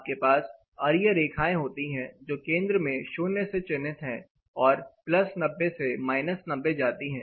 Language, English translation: Hindi, Typically, this is like you know you have radial lines marked 0 at the center and goes up to plus 90 and minus 90